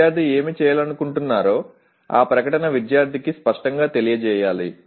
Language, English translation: Telugu, The statement itself should be able to clearly communicate to the student what exactly the student is expected to do